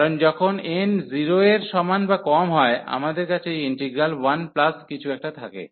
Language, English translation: Bengali, Because, when n is less than equal to 0, we have this integral 1 plus something